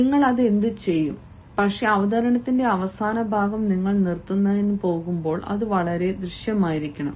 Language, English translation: Malayalam, you will do that, but when you are going to close, the last part of the presentation has to be very emphatic